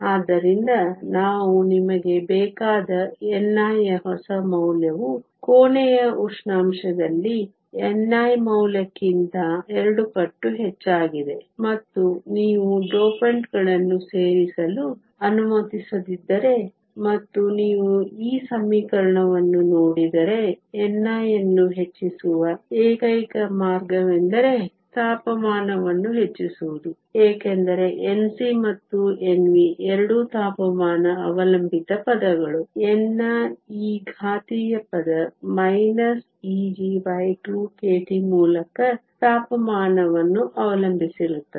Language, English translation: Kannada, So, the new value of n i that we want is double of the n i value at room temperature if you are not allowed to add dopants, and if you look at this equation the only way to increase n i is to increase temperature, because N C and N V are both temperature dependent terms, n i also depends on temperature through this exponential term minus E g over 2 K T